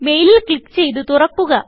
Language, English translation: Malayalam, Click on the mail to open it